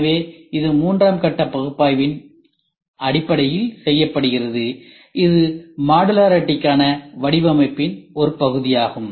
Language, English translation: Tamil, So, this is done based on phase III analysis, which is part of design for modularity